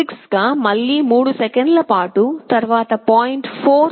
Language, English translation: Telugu, 6 again wait for 3 seconds, then 0